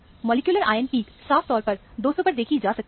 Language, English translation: Hindi, The molecular ion peak is very clearly seen at 200